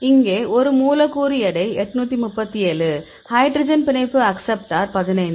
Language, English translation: Tamil, So, here is a molecule weight is 837; hydrogen bond acceptor is 15